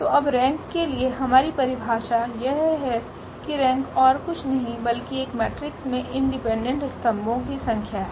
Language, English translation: Hindi, So, now our definition for the rank is that rank is nothing but the number of independent columns in a matrix